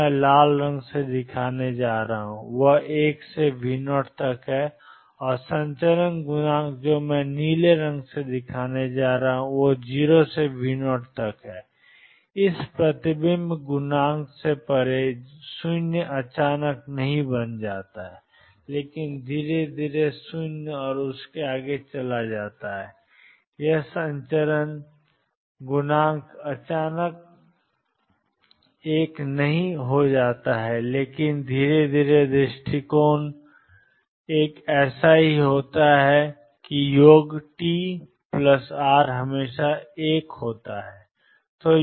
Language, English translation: Hindi, Which I am going to show by red is one up to V 0 and the transmission coefficient which I am going to show by blue is 0 up to V 0 beyond this reflection coefficient does not become 0 all of a sudden, but slowly goes to 0 and beyond this, the transmission coefficient suddenly does not become one, but slowly approach is one such that the sum t plus r is always one